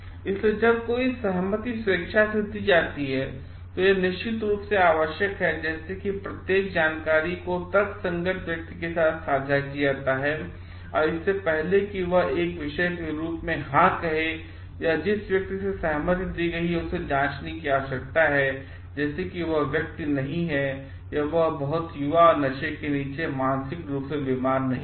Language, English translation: Hindi, So, when a consent is given voluntarily, it is very definitely required like every information is shared with the rational person and before he says yes as a subject and the person who has given the consent, it needs to be checked like that person is not too young or not under intoxication or not mentally ill